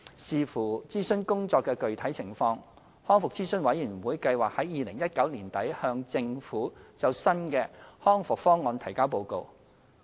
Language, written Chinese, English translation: Cantonese, 視乎諮詢工作的具體情況，康復諮詢委員會計劃在2019年年底向政府就新的《康復方案》提交報告。, Depending on the progress of the consultation work RAC aims to submit a report on the new RPP to the Government by end - 2019